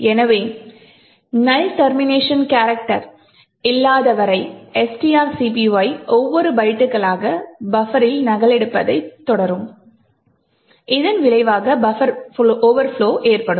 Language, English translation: Tamil, So as long as there is no null termination character STR copy will continue to execute copying the byte by byte into buffer and resulting in a buffer overflow